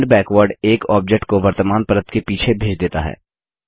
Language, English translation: Hindi, Send Backward sends an object one layer behind the present one